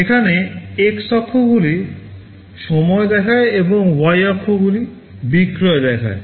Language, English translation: Bengali, Here the x axis shows the time and y axis shows the sales